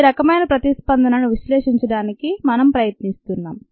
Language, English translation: Telugu, this is the kind of ah response that we were trying to analyze